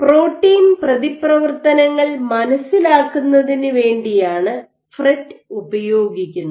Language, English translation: Malayalam, FRET is used for probing protein interactions